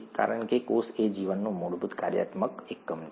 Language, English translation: Gujarati, Because cell is the fundamental functional unit of life